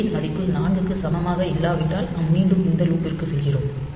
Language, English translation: Tamil, So, if a is not equal to 4, then we go back to this loop